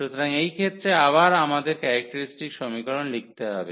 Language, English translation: Bengali, So, in this case again we need to write the characteristic equation